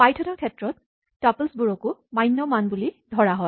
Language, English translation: Assamese, On python, tuples are also valid values